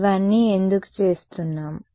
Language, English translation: Telugu, Why are we doing all of these